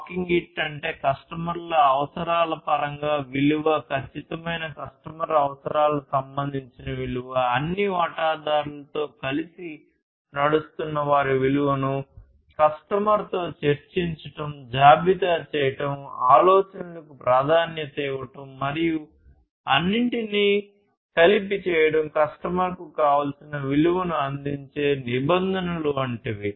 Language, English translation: Telugu, Walking it, that means, discuss the value, value in terms of the customer requirements, precise customer requirements, discussing the value of those walking together, walking together with all stakeholders walking together with the customer and so on, listing and prioritizing ideas and doing everything together is what is desirable in terms of offering the value to the customer